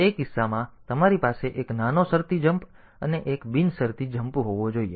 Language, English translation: Gujarati, So, in that case you should have a small conditional jump followed by one unconditional jump